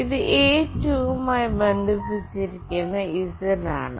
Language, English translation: Malayalam, And this one is z that is connected to A2